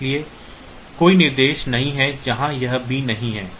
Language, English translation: Hindi, So, there is no instruction where this b is not there